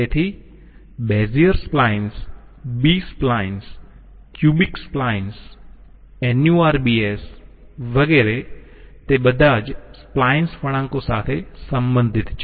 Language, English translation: Gujarati, So Bezier splines, B splines, cubic splines, NURBS, et cetera, they all belong to the family of splines curves